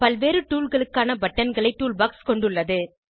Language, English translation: Tamil, Toolbox contains buttons for different tools